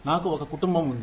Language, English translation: Telugu, I have a family